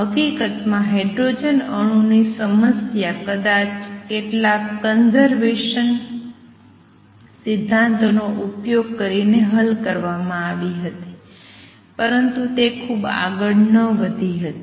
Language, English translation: Gujarati, In fact, the hydrogen atom problem was solved by probably using some conservation principles, but it did not go very far it became very complicated